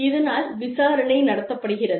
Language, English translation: Tamil, An investigation is conducted